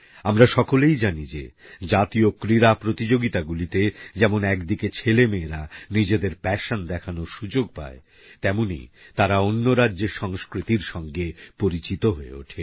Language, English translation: Bengali, We all know that National Games is an arena, where players get a chance to display their passion besides becoming acquainted with the culture of other states